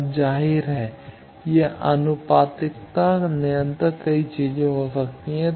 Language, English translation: Hindi, Now obviously, this proportionality constant can be many things